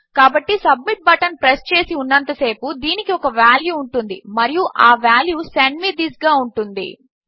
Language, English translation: Telugu, So long as the submit button has been pressed, this will contain a value and that value is Send me this